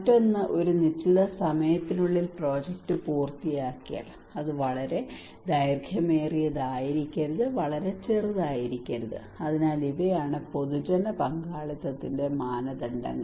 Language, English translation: Malayalam, Another one is the time effective that if the project should be finished within a particular time, tt should not be too long, should not be too short, so these are the criterias of public participations